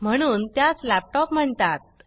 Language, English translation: Marathi, Hence, it is called a laptop